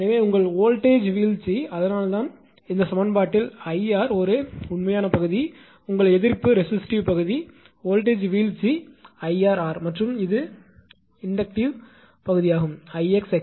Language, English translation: Tamil, So, here your voltage drop that is why this this equation from this only we are writing that it is I r that is a real part, your resistive part voltage drop I r into r and this this is the inductive part that is why I x into x l